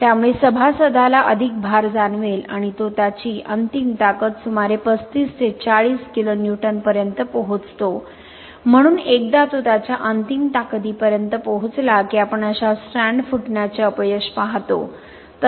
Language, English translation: Marathi, So the member will experience more load and it reaches its ultimate strength of about 35 to 40 kN, so once it is reaching its ultimate strength we will observe such strand rupture failure